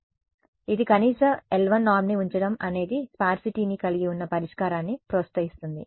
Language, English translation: Telugu, So, this putting a minimum l 1 norm tends to promote a solution which has sparsity